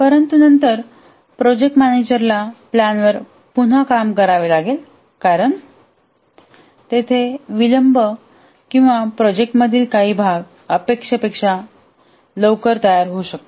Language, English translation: Marathi, But then the project manager might have to rework the plan because even in spite of that there will be delays or there may be some part of the project may get completed quickly than anticipated and so on